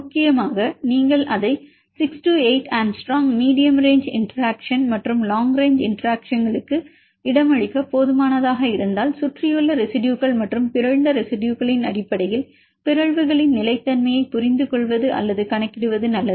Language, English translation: Tamil, Essentially if you see it around 6 8 angstrom is sufficient to accommodate the medium range interactions and the long range interactions, it may work well to understand or to account the stability upon mutations in terms of the surrounding residues plus the mutant residues, we can do that